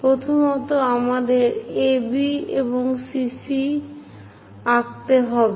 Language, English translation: Bengali, First, we have to draw AB and CC prime also we have to draw